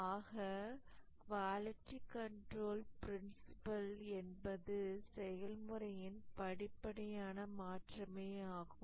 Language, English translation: Tamil, So, the quality control principle, as you can see that gradual shift is there to the process